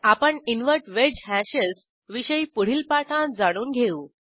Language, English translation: Marathi, I will cover Invert wedge hashes in an another tutorial